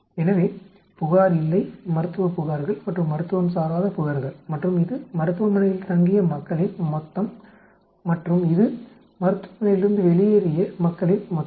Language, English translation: Tamil, So No compliant, Medical complaint, Non medical complaint and these are the total of people who stayed back and these are people who left the medical clinic